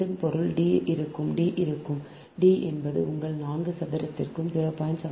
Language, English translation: Tamil, so that means d will be, ah, d will be, d will be is equal to your four square plus point seven, five square